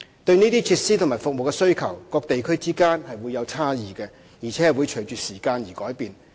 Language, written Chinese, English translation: Cantonese, 對這些設施和服務的需求，各地區之間會有差異，而且會隨着時間而改變。, Nevertheless the demands for these facilities and services vary from district to district and change with the times